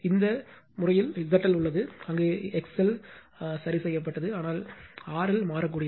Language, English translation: Tamil, In this case in this case your Z L is there, where X L is fixed, but R L is variable